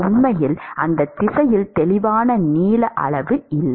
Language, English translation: Tamil, There is really no clear length scale in that direction